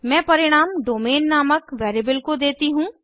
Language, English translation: Hindi, I assign the result to a variable named domain